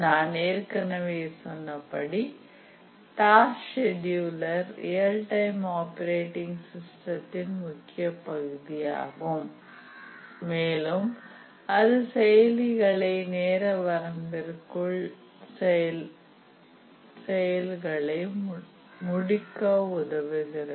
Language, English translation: Tamil, And we have already said that the task schedulers are important part of all real time operating systems and they are the primary means by which the operating system helps the applications to meet their deadlines